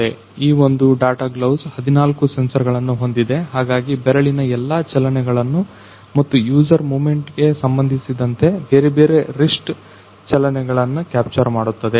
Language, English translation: Kannada, So, this particular data gloves is having 14 sensors, so it will capture all the finger motions and different wrist motions related to whatever user movement will do; similar